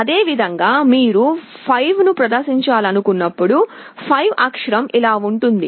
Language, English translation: Telugu, Similarly, let us say when you want to display 5, the character 5 is like this